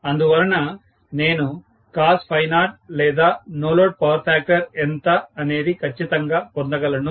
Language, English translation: Telugu, So, I should be able to get exactly what is cos phi 0 or the no load power factor